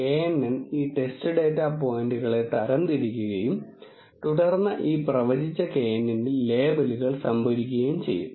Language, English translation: Malayalam, The knn will classify the test data points and then store the labels in this predicted knn